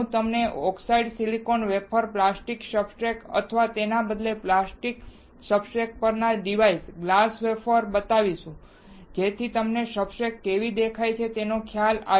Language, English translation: Gujarati, I will show it to you an oxidized silicon wafer, a plastic substrate or rather a device on plastic substrate, a glass wafer, so that you will have an idea of how the substrate looks like